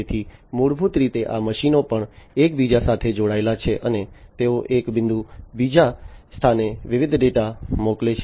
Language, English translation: Gujarati, So, basically these machines are also interconnected, and they send different data from one point to another